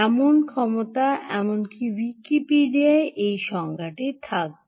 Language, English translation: Bengali, in fact, even wikipedia will have these definitions